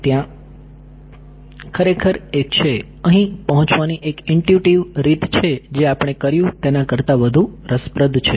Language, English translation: Gujarati, There is actually a, there is an intuitive way of arriving at this which is more sort of more fun than what we did right